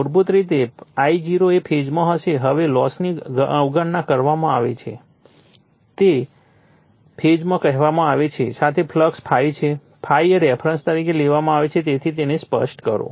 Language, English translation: Gujarati, So, basically your I0 will be in phase now loss is neglected with the your in phase with your what you call is the flux ∅, ∅ is the taken as a reference right therefore, let me clear it